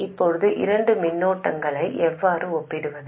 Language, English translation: Tamil, Now how do we compare two currents